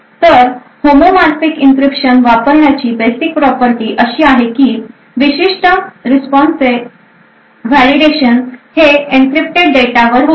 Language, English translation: Marathi, Now the basic property of using homomorphic encryption is the fact that the validation of the particular response can be done on encrypted data